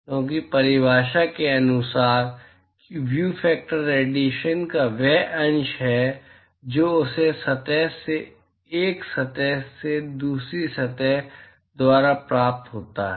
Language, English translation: Hindi, Because by definition, view factor is the fraction of radiation that is emitted by that surface, by a surface and as received by another surface